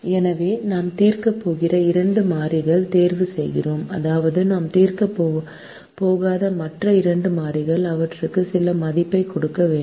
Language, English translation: Tamil, so we choose two variables that we are going to solve, which means the other two variables that we are not going to solve